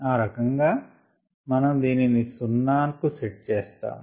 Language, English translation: Telugu, that's how we set this to be zero